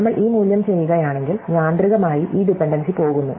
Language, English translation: Malayalam, So, if we do this value, then automatically this dependency will go